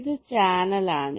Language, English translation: Malayalam, this is ah channel